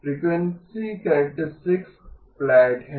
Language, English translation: Hindi, Frequency characteristic is flat right